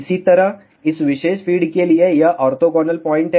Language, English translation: Hindi, Similarly, for this particular feed this is orthogonal point